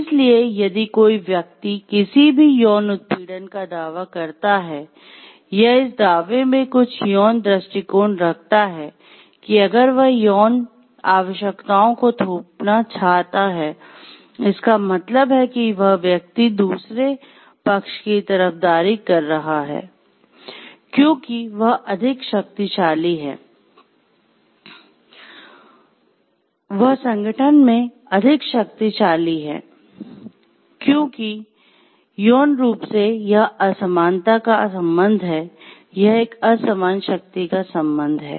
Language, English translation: Hindi, So, somebody, if the person claims of any sexual or makes some sexual approach in the claim of that if given that imposition of sexual requirements, so that the person is going to give the other party the favor, because he is more powerful or she is more powerful in the organization, because sexually the relationship of unequal, its relationship of a unequal power